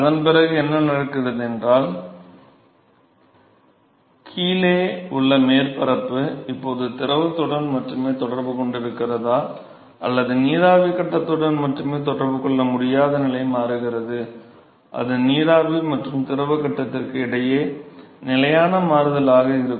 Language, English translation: Tamil, And what happens after that is for the transition stage where you cannot distinguish whether the bottom surface is now in contact only with the fluid or only with the vapor phase, it is going to be a constant switch between the vapor and the liquid phase